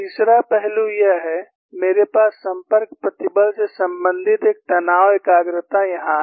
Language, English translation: Hindi, Third aspect is, I have one stress concentration related to contact stress here